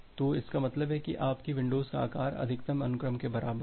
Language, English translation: Hindi, So that means, your windows size is equal to max sequence